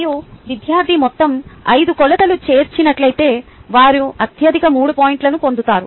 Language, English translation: Telugu, and if the student has included all five dimensions, they get the highest three points